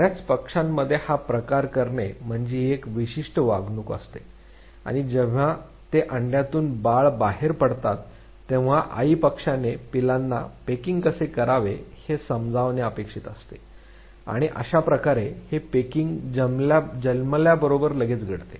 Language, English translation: Marathi, Pecking in many many birds is basically a species is specific behavior and when the babies they come out of the egg the mother bird is suppose to make them learn how to peck and this pecking has to take place within very very shorter period of time immediately after birth